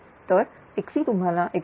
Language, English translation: Marathi, So, x you will get 102